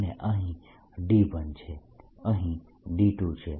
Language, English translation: Gujarati, where the d two here